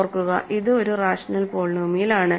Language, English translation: Malayalam, Remember, this is a rational polynomial